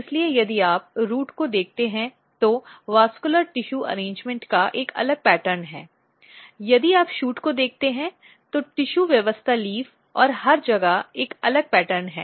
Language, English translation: Hindi, So, if you look the root there is a different pattern of vascular tissue arrangement, if you look shoot there is a different pattern of tissue arrangement leaf and everywhere